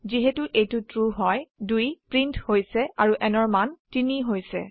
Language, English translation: Assamese, since it is true, again 2 is printed and n becomes 3